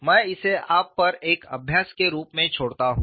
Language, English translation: Hindi, I leave that as an exercise to you